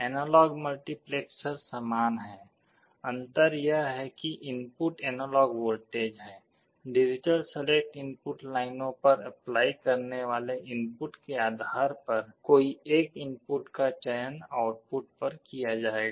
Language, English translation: Hindi, Analog multiplexer is similar, the difference is that the inputs are analog voltages; one of the input will be selected at the output depending on what you are applying at the digital select input lines